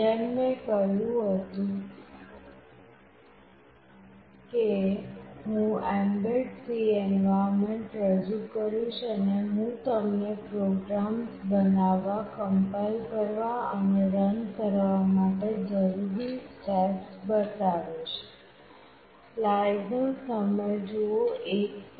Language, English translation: Gujarati, As I said I will introduce the mbed C environment and I will show you the steps that are required to create, compile and run the programs